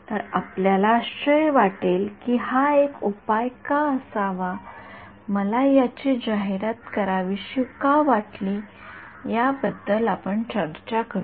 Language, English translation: Marathi, So, we may wonder why should this be a solution why should I want to promote this we will talk about that